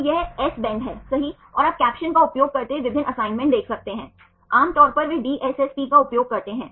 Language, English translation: Hindi, So, this is the S is the bend right and you can see the different assignments using captions, generally they use the DSSP